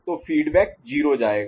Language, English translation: Hindi, So, the value is 0